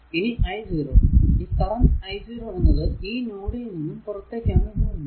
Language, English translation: Malayalam, And i 0 this current is leaving the node i 0 current is leaving the node